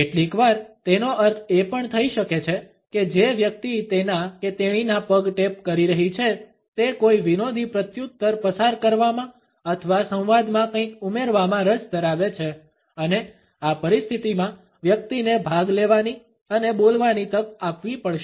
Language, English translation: Gujarati, Sometimes, it may also mean that the person who is tapping with his or her foot is interested in passing on a repartee or to add something to the dialogue and in this situation the person has to be given an opportunity to participate and speak